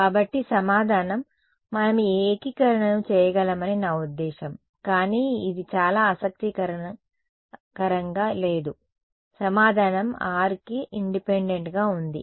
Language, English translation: Telugu, So, the answer I mean we can do this integration, but it's not very interesting right the answer is independent of r